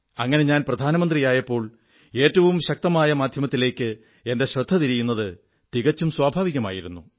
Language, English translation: Malayalam, Hence when I became the Prime Minister, it was natural for me to turn towards a strong, effective medium